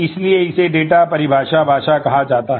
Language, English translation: Hindi, So, it is called a data definition language